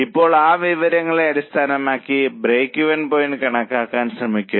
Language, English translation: Malayalam, Now, based on this data, try to calculate the break even point